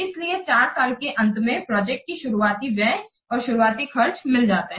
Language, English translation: Hindi, So at the end of year 4, the project will get back the initial expenditure, the initial expenses